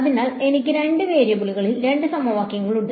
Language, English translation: Malayalam, So, I have two equations in 2 variables